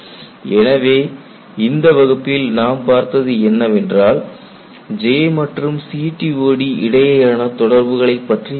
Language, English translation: Tamil, You know in the last class we had looked at a relationship between J integral and CTOD